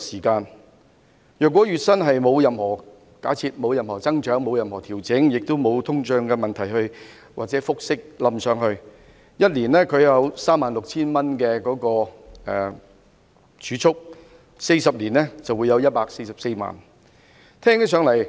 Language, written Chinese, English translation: Cantonese, 假設月薪沒有任何增長或調整，亦沒有通脹或複息累積，他每年儲蓄 36,000 元 ，40 年便有144萬元。, If there is neither any increase in or adjustment to his monthly salary nor any inflation or accrued compound interest earning he will save 36,000 a year and 1.44 million in 40 years